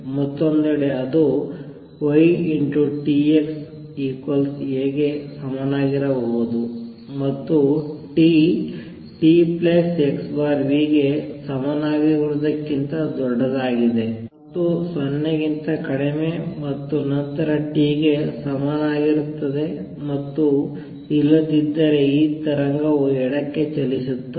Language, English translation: Kannada, On the other hand it could also be that y t x is equal to A for t greater than equal to t plus x over v greater than equal to 0 less then equal to t and 0 otherwise then this wave would be traveling to the left